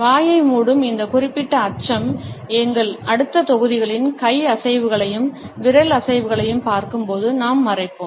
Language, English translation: Tamil, This particular aspect of covering the mouth we will cover when we will look at hand movements and finger movements in our next modules